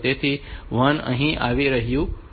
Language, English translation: Gujarati, So, this 1 is coming here